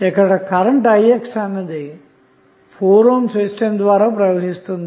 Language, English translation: Telugu, Ix is depending upon the current which is flowing through the 4 ohm resistance